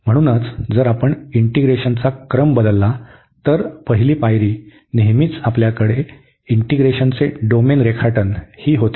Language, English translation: Marathi, So, if you change the order of integration the first step is going to be always that we have to the sketch the domain of integration